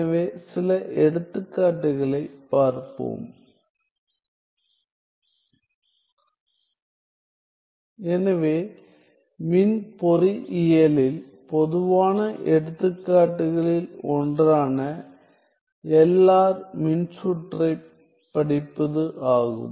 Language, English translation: Tamil, So, in electrical engineering one of the common examples is to study the LR circuit